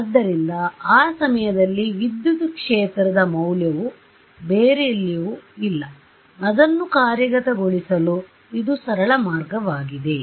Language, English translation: Kannada, So, the value of the field at that point only not anywhere else right, this is the simplest way to implement it